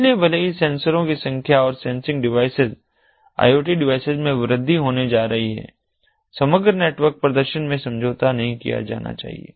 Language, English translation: Hindi, so, even if the number of sensors and the sensing devices iot devices are going to ah increase, the overall network performance should not be compromised